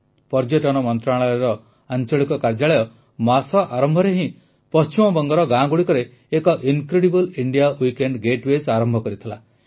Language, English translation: Odia, The regional office of the Ministry of Tourism started an 'Incredible India Weekend Getaway' in the villages of Bengal at the beginning of the month